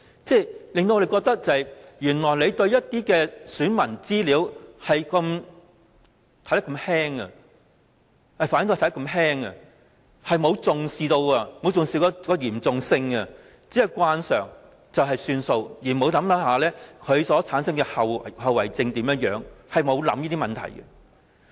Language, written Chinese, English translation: Cantonese, 這令我們覺得原來政府對選民資料看得如此輕，並沒有重視其嚴重性，只是慣常做法便算，而沒有考慮會產生怎樣的後遺症，並沒有考慮這些問題。, This gives us an impression that the Government simply does not treat the information of electors seriously . Officials only work according to the usual procedures without considering the possible consequences and all these problems